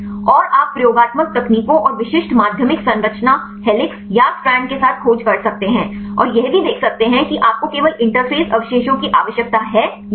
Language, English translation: Hindi, And you can search with experimental techniques and specific secondary structure helix or strand and also you can see whether you need only the interface residues